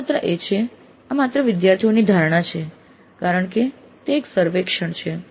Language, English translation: Gujarati, Note that again all these are only student perceptions because it is a survey